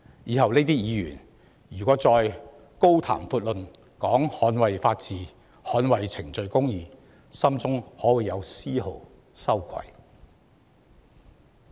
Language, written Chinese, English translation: Cantonese, 這些議員日後若再高呼捍衞法治、捍衞程序公義，心中可會有絲毫羞愧？, When such Members cry for safeguarding the rule of law and procedural justice in the future will they have the faintest trace of shame?